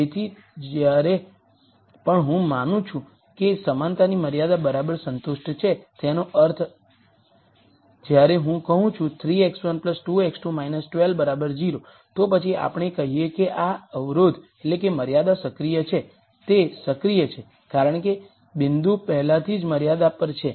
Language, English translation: Gujarati, So, whenever I assume that an equality constraint is exactly satis ed; that means, when I say 3 x 1 plus 2 x 2 minus 12 equals 0, then we say this constraint is active it is active because the point is already on the constraint